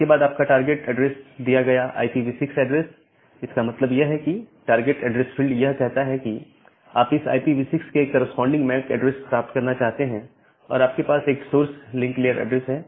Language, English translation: Hindi, Then your target address is the given IPv6 address, so that means, this target address field it tells you that you want to find out the MAC address corresponds to this IPv6 address